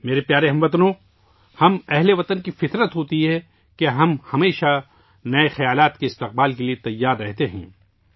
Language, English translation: Urdu, My dear countrymen, it is the nature of us Indians to be always ready to welcome new ideas